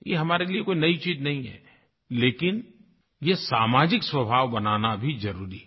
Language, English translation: Hindi, This is nothing new for us, but it is important to convert it into a social character